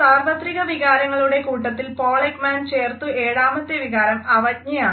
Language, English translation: Malayalam, The seventh emotion which was added to the list of universally acknowledged emotions by Paul Ekman was contempt